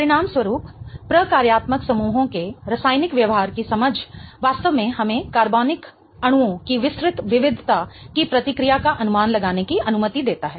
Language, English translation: Hindi, As a consequence, an understanding of the chemical behavior of functional groups really allows us to predict the reactivity of the wide variety of organic molecules